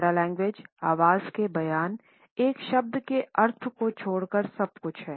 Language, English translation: Hindi, Paralanguage is everything except the meaning of a word in a voice statement